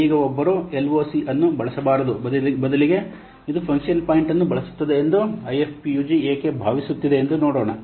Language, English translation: Kannada, Now let's see why IFPUG thinks that one should not use LOC rather they should use function point